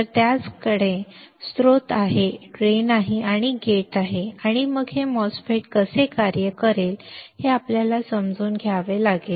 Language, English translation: Marathi, So, it has source it has drain it has gate right and then we have to understand how this MOSFET will operate